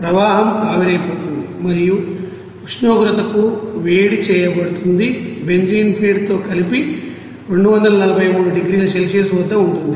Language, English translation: Telugu, The stream is vaporized and heat to the temperature and mixed with benzene feed is at you know 243 degrees Celsius